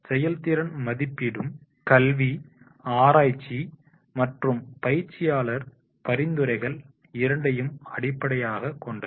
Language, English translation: Tamil, The effectiveness rating is based on both academic research and practitioner recommendations